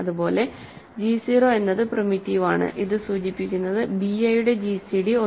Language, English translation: Malayalam, Similarly, g 0 is primitive implies gcd of b i is 1, right